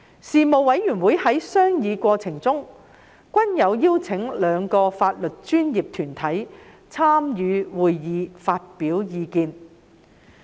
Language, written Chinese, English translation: Cantonese, 事務委員會在商議過程中，均有邀請兩個法律專業團體參與會議發表意見。, In the course of discussion the Panel invited two legal professional bodies to attend the meetings to express their views